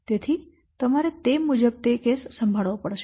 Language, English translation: Gujarati, So you have to handle this case accordingly